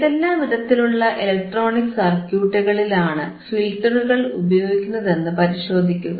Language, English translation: Malayalam, Right aAnd try to see in which kind of electronic circuits the filters are used right